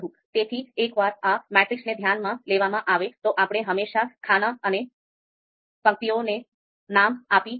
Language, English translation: Gujarati, So once this matrix is considered, we can always name the columns and rows